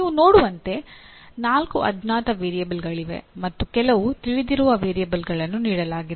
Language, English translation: Kannada, As you can see there are four unknown variables and some known variables are all given